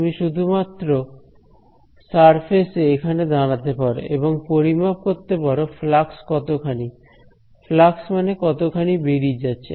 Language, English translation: Bengali, You could just stand on the surface over here and just measure how much is the flux right; flux is how much is going out